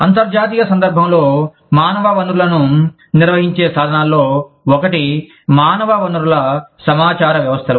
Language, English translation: Telugu, One of the tools of managing, human resources in the international context is, the human resource information systems